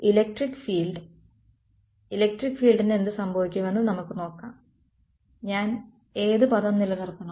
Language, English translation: Malayalam, Electric field let us see what happens electric field which term should I keep